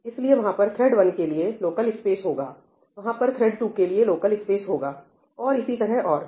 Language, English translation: Hindi, So, there will be a thread local space for thread 1, there will be a thread local space for thread 2 and so on